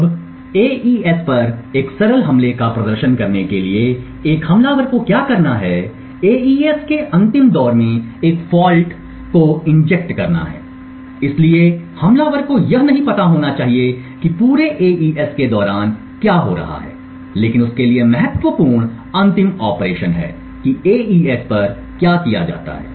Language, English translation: Hindi, Now in order to demonstrate a simple attack on AES what an attacker needs to do is to inject a fault in exactly the last round of AES, so the attacker need not know what is happening during the entire AES but important for him is the last operation what is performed on AES